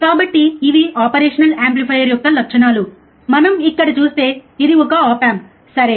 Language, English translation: Telugu, So, these are the characteristics of an operational amplifier, this is an op amp like we see here, right